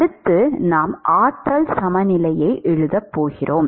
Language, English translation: Tamil, Next we are going to write energy balance